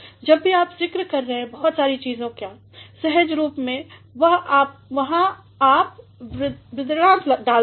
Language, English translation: Hindi, Whenever you are mentioning so many things, naturally you put a colon there